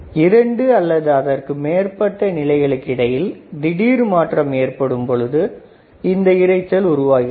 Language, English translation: Tamil, Burst noise consists of sudden step like transitions between two or more levels